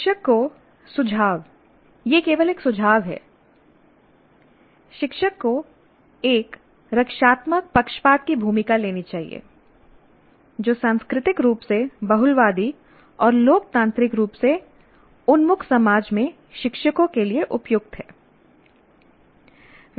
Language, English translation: Hindi, Now the suggestion is the teacher, it is only a suggestion, the teacher should take the role of a defensible partisanship is appropriate for teachers in a culturally pluralistic and democratically oriented society